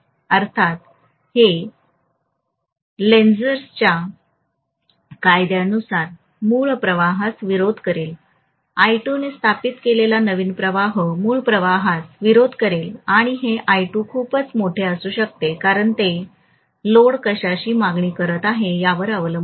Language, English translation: Marathi, So obviously it will be opposing the original flux by Lenz’s law the new flux that have been established by I2 will oppose the original flux and this I2 may be very very large because it depends upon what the load is demanding